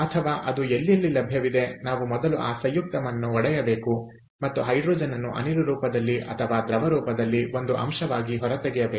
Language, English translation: Kannada, or or in other, wherever it is available, ah, we have to first break up that compound and extract the hydrogen out as an element in the gaseous form or in the liquid form, which form is available